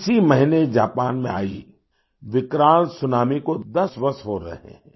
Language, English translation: Hindi, This month it is going to be 10 years since the horrifying tsunami that hit Japan